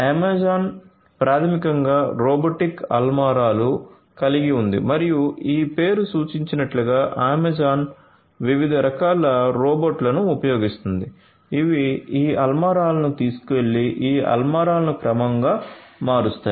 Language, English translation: Telugu, Amazon basically has the robotic shelves and as this name suggests basically Amazon uses different types of robots that will carry this shelves and rearrange this shelves